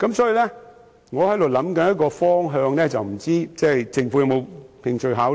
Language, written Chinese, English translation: Cantonese, 所以，我正在研究一個做法，但不知政府是否有興趣考慮。, Hence I am now exploring the feasibility of a tax measure which I wonder if the Government would like to consider